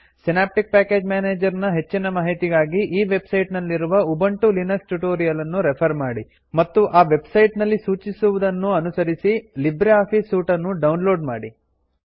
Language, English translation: Kannada, For more information on SynapticPackage Manager, please refer to the Ubuntu Linux Tutorials on this website And download LibreOffice Suite by following the instructions on this website